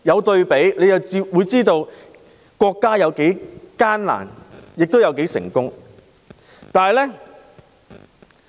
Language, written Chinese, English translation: Cantonese, 對比之下，我知道國家有多艱難，亦有多成功。, By comparison I know the difficult times experienced by the country and how successful it is now